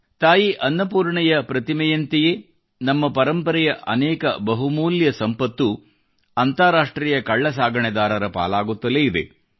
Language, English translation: Kannada, Just like the idol of Mata Annapurna, a lot of our invaluable heritage has suffered at the hands of International gangs